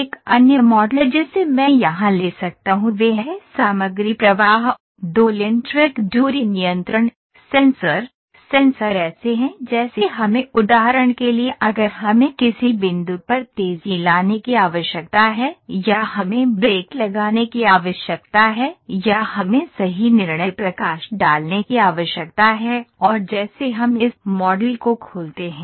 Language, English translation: Hindi, So, another model I can pick here is from continuous material flow ,2 lane track distance control, sensors; sensors are like if we need to for instance if we need to accelerate at some point or we need to put brakes or we need to put the occur, this is a light and like we can do anything let me open this model ok